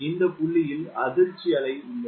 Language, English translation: Tamil, why there is the formation of shock wave here